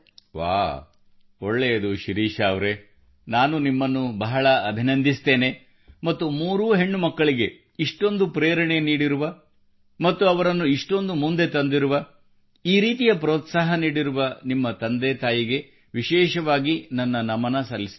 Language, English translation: Kannada, Great… Shirisha ji I congratulate you a lot and convey my special pranam to your father mother who motivated their three daughters so much and promoted them greatly and thus encouraged them